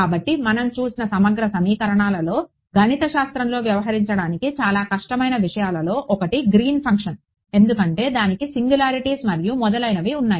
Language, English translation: Telugu, So, in integral equations which we looked at, one of the very difficult things to deal with mathematically was Green’s function because, it has singularities and all of those things right